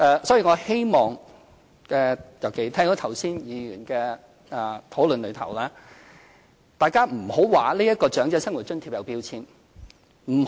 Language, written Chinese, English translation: Cantonese, 所以，我希望——尤其是聽到剛才議員的討論——大家不要說這個長者生活津貼有標籤。, So I hope Members can refrain from claiming that OALA attaches a label especially after I have listened to the speeches given by Members